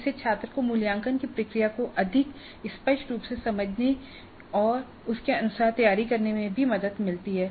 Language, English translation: Hindi, So that would help the student also to understand the process of assessment more clearly and prepare accordingly